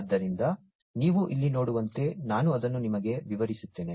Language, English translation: Kannada, So, as you can see over here let me just explain it to you